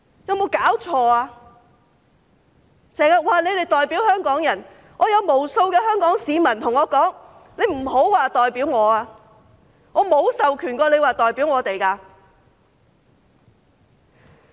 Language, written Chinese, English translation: Cantonese, 他們經常說代表香港人，有無數香港市民告訴我："請他們不要說代表我，我沒有授權他們代表我。, They always claim to represent Hong Kong people . Yet countless Hong Kong people have told me Please do not say that they represent me . I have not authorized them to represent me